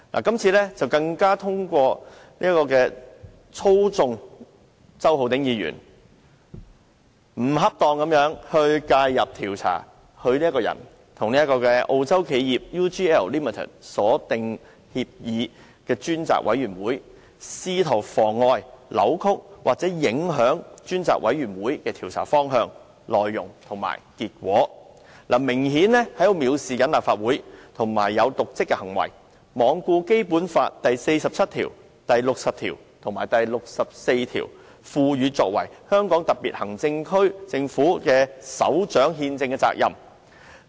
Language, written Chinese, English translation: Cantonese, 今次更透過操縱周浩鼎議員，不恰當地介入調查他本人與澳洲企業 UGL Limited 所訂協議的專責委員會，試圖妨礙、扭曲或影響專責委員會的調查方向、內容及結果，明顯是藐視立法會，以瀆職行為，罔顧《基本法》第四十七條、第六十條及第六十四條賦予其作為香港特別行政區政府的首長的憲制責任。, In this incident LEUNG Chun - ying even tried to do so through manipulating Mr Holden CHOW so that he could improperly interfere with the affairs of the Select Committee to inquire into matters about the agreement between himself and the Australian firm UGL Limited in an attempt to frustrate deflect or affect the direction course and result of the inquiry to be carried out by the Select Committee . Obviously LEUNG Chun - ying has acted in contempt of the Legislative Council and in dereliction of his constitutional duty as the Chief Executive of the HKSAR under Articles 47 60 and 64 of the Basic Law